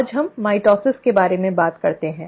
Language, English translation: Hindi, Today, let us talk about mitosis